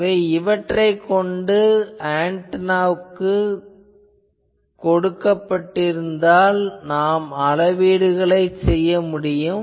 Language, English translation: Tamil, So, you need to have a standard antenna for measuring these